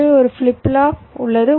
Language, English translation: Tamil, so so i have a flip flop